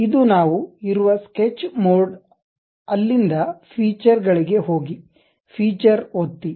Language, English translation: Kannada, This is the Sketch mode where we are in; from there go to Features, click Features